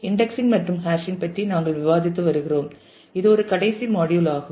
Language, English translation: Tamil, We have been discussing about indexing and hashing and this is a concluding module on that